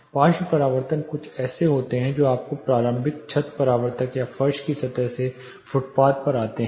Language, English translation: Hindi, Lateral reflections are something which comes to you like from side walls from the initial ceiling reflectors or the floor planes